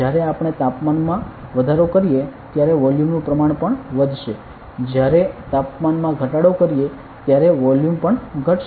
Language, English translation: Gujarati, Then when we increase the temperature volume will also increase when we decrease the temperature volume will decrease